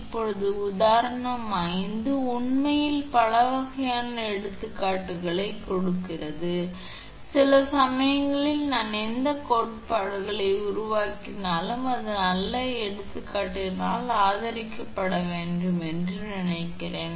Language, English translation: Tamil, Now, example 5: actually so many different type of examples it giving that sometimes I feel that all the theories whatever we make it should be supported by good examples